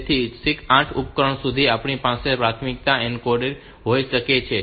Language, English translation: Gujarati, So, up to 8 devices, we can have this priority encoding